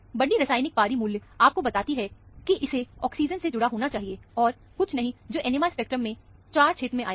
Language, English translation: Hindi, The large chemical shift value tells you that, it has to be attached to an oxygen, and nothing else, that would come in the 4 region of the, in NMR spectrum